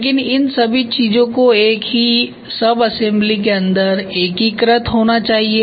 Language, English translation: Hindi, But all these things should happen and should get interfaced or integrated inside one subassembly